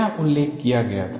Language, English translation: Hindi, What was mentioned